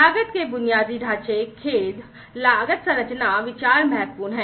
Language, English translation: Hindi, Cost infrastructure, sorry, cost structure, considerations are important